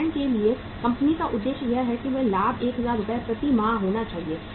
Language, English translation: Hindi, For example the company’s objective is that the profit should be 1000 Rs per month